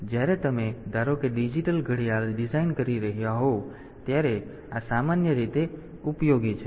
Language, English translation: Gujarati, So, this is typically useful when you are suppose designing a digital watch